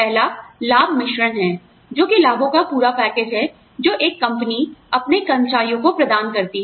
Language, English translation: Hindi, The first is the benefits mix, which is the complete package of benefits, that a company offers, its employees